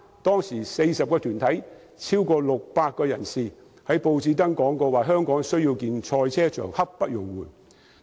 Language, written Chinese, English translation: Cantonese, 當時有40個團體超過600人在報章刊登廣告，提出香港需要興建賽車場，刻不容緩。, At that time more than 600 people from 40 groups placed an advertisement in the newspapers demanding that a motor racing circuit be constructed in Hong Kong without any delay